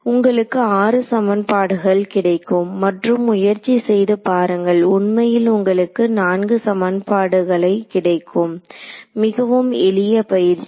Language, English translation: Tamil, You will get 6 equations and try to see how you actually they are basically only 4 equations, so very simple exercise